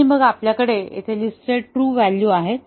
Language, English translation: Marathi, And then, we have the truth values listed here